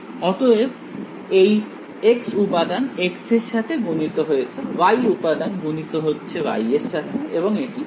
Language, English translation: Bengali, So, the x component multiplies by the x, the y component multiplies by the y and the 0 is 0